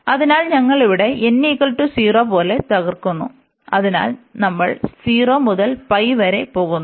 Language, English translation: Malayalam, So, we have broken here like n is equal to 0, so we are going from 0 to pi